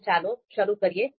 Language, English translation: Gujarati, So let us start